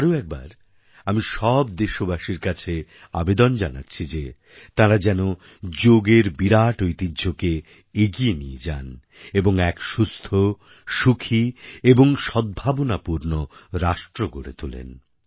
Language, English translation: Bengali, Once again, I appeal to all the citizens to adopt their legacy of yoga and create a healthy, happy and harmonious nation